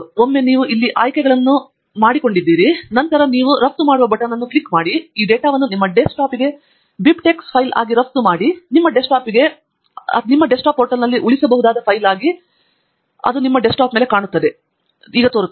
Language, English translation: Kannada, once you have chosen the options here, then you can click on the button export here to export this data as a bib tech file onto your desktop, and it will come to your desktop as a file that can be saved in your downloads folder